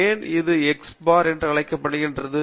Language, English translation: Tamil, Why it is called x bar